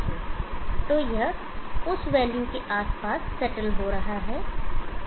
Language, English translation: Hindi, So this is settling it around that value